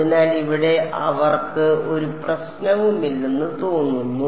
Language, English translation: Malayalam, So, here they seems to be no problem